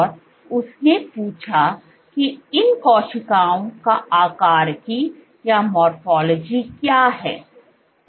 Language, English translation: Hindi, And she asked what is the morphology of these cells